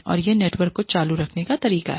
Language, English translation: Hindi, And, that is with the way, to keep the network going